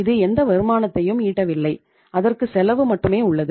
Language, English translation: Tamil, Itís not generating any return, it has only cost